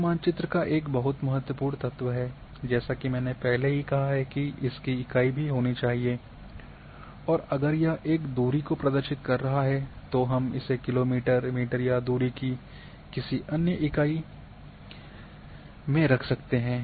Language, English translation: Hindi, Scale is another very important key element of a map and as I have already said that unit must also if it is representing a distance they may be in kilometre,metres and so on so forth